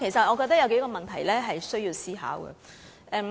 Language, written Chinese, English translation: Cantonese, 我覺得還有數個問題需要思考。, In my opinion there are several other questions that warrant consideration